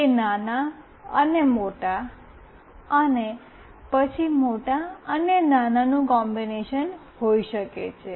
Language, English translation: Gujarati, It could be combination small and big, and then big and small